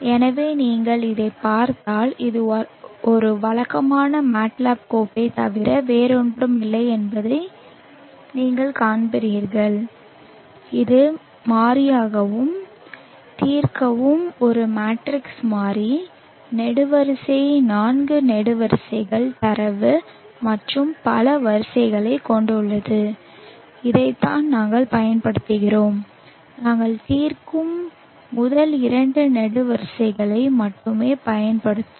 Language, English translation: Tamil, So now data dot m is a matter pile where you can call in mat lab and execute it so if you look at it now you will see that this is nothing but a regular MATLAB file with solve as the variable and solve is a matrix variable having column four columns of data and many rows and this is what we will be using and we will be using only the first two columns of solve the first column represents wavelength second column represents the spectral irradiance